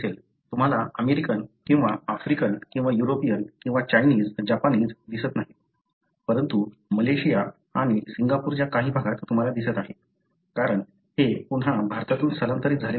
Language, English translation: Marathi, You do not see in the Americans or Africans or Europeans or Chinese, Japanese, but you see in some part of Malaysia and Singapore, because these are again people migrated from India